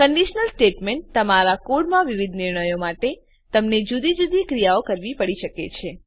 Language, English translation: Gujarati, Conditional statements You may have to perform different actions for different decisions in your code